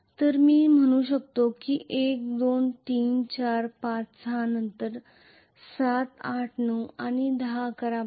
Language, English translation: Marathi, So I can say 1, 2, 3, 4, 5, 6 then 7, 8, 9 and 10, 11, 12